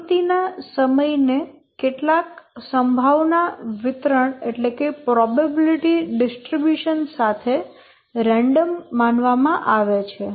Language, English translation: Gujarati, The activity times are assumed to be random with some probability distribution